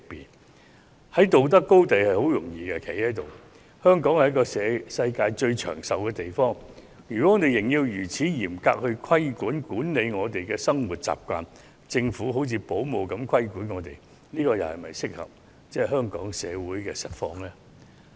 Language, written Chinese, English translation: Cantonese, 要站在道德高地是一件很容易的事情，可是，香港是全球最長壽的地方之一，如仍要作出如此嚴格的規管，管理市民的生活習慣，讓政府好像保母一般管束我們，這又是否切合香港社會的實況？, Standing on the moral high ground is always easy . Nevertheless Hong Kong is among the places with the longest life expectancy in the world is it suitable for the actual situation in Hong Kong if the Government regulates peoples way of living so strictly like a babysitter?